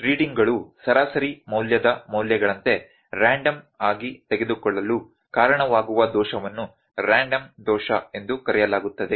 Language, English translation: Kannada, So, the error that causes readings to take random like values about mean value is known as random error